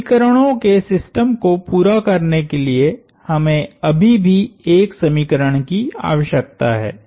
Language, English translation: Hindi, We still need an equation to complete the system of equations